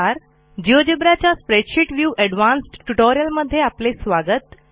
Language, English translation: Marathi, Welcome to this geogebra tutorial on Spreadsheet view advanced